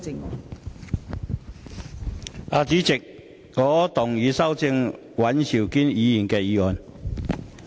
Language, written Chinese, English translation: Cantonese, 代理主席，我動議修正尹兆堅議員的議案。, Deputy President I move that Mr Andrew WANs motion be amended